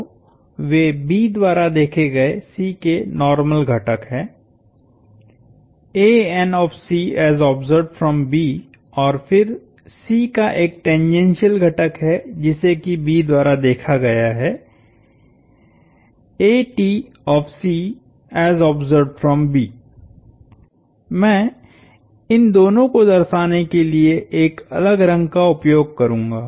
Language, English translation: Hindi, So, those are normal component of C as observed by B and then there is a tangential component of the C as observed by B